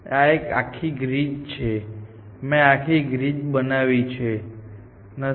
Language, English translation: Gujarati, It is a complete grid, I am not drawn the complete grid